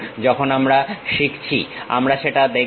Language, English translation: Bengali, We will see that when we are learning